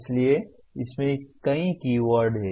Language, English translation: Hindi, So there are several keywords in this